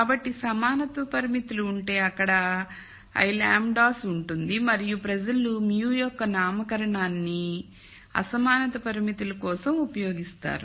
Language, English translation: Telugu, So, if there are l equality constraints, there will be l lambdas and people use the nomenclature of mu for the inequality constraints